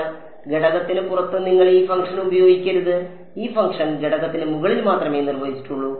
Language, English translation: Malayalam, So, you should not use this function outside the element itself, this function is defined only over the element